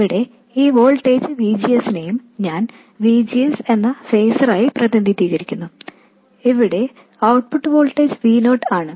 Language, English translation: Malayalam, And this voltage here VGS, again I will represent it as a phaser that is VGS and the output voltage here is VO